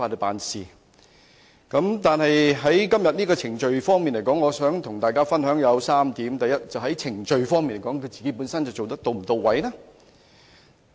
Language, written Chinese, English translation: Cantonese, 但是，就今天這項議案而言，我想跟大家分享3點，第一，在程序方面，反對派議員是否做得到位？, However in respect of this motion I would like to point out three things . First have the opposition Members followed the proper procedure? . Let us look at the wording of the motion